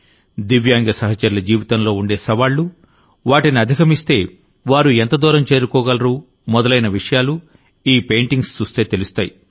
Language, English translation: Telugu, What are the challenges in the life of Divyang friends, how far can they reach after overcoming them